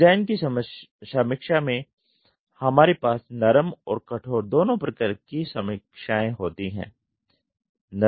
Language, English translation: Hindi, In the design review we have soft and hard reviews